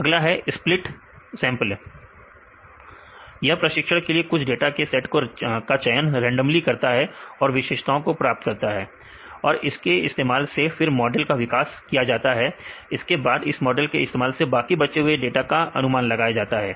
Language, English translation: Hindi, Next split sampling this is a random randomly choose some set of data for training and get the features and using that to develop a model and use the model for predict the remaining ones